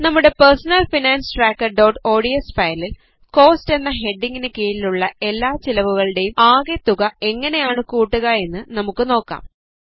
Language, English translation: Malayalam, In our personal finance tracker.ods file, let us see how to add the cost of all the expenses mentioned under the heading, Cost